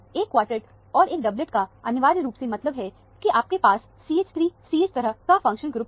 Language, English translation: Hindi, A quartet and a doublet essentially would mean that, you have a CH 3 CH kind of a functional group